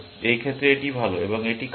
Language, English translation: Bengali, In this case, this is better and this is bad